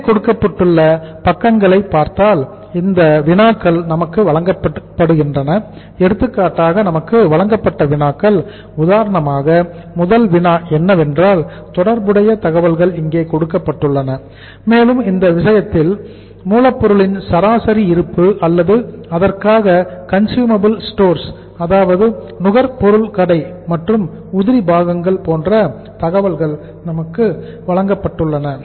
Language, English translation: Tamil, There if you look at the slides the problems are given there and in those problems we are given say for example first problem is that the relevant information are given here as under and in this case uh average stock of raw material is or for a say average stock of the raw material uh and the consumable stores and spares we are given that information